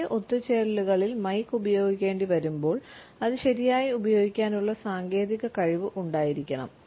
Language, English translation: Malayalam, In large gatherings when we have to use the mike we should have the technical competence to use it properly